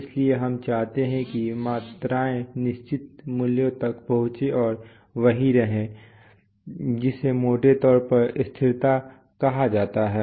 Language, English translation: Hindi, So, we want that quantities reach certain values and stay there that is roughly called stability